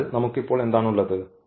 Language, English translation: Malayalam, So, what we have now